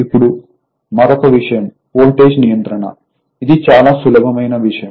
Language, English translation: Telugu, Now, another thing is the voltage regulation; this is very simple thing